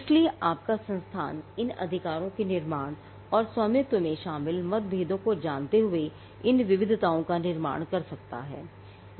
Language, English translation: Hindi, So, these are variations that your institute can create knowing the differences involved in these in the creation and ownership of these rights